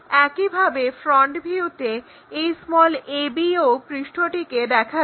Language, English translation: Bengali, Similarly, in the front view this ab o surface will be visible